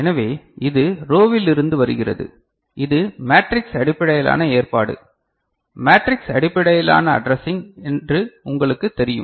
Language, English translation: Tamil, So, this is coming from row and you know this is a matrix based arrangement matrix based addressing